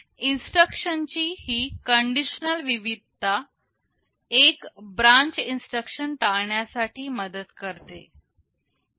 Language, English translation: Marathi, This conditional variety of instructions helps in avoiding one branch instruction